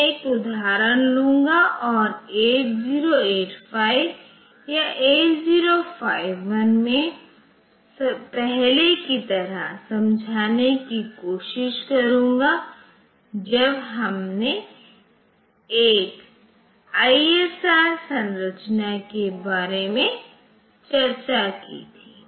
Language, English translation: Hindi, I will take an example and try to explain like previously in 8085 or 8051 when we discussed about one ISR structure